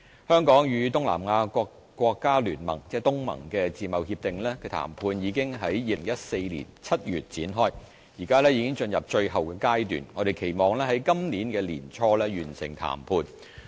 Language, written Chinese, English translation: Cantonese, 香港與東南亞國家聯盟的自貿協定談判已於2014年7月展開，現已進入最後階段，我們期望於今年年初完成談判。, We commenced negotiation on entering FTA with the Association of Southeast Asia Nations in July 2014 and we are now at its final stage